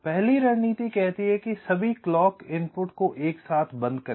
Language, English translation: Hindi, the first strategy says: locate all clock inputs close together